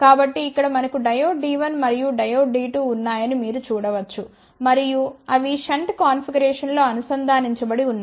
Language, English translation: Telugu, So, you can see that here we have a diode D 1 and diode D 2 and they are connected in shunt configuration